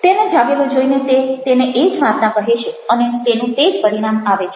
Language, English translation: Gujarati, and the moment he finds him awake he is again trying to say the same story with him and with the same result